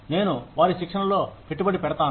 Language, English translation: Telugu, I invest in their training